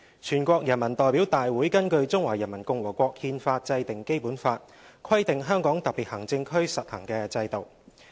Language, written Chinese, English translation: Cantonese, 全國人民代表大會根據《中華人民共和國憲法》制定《基本法》，規定香港特別行政區實行的制度。, In accordance with the Constitution of the Peoples Republic of China the National Peoples Congress NPC enacts the Basic Law prescribing the systems to be practised in the HKSAR